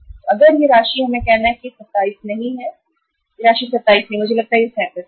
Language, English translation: Hindi, So if this amount we have to say it is not 27 this is the this amount is not 27 I think it is 37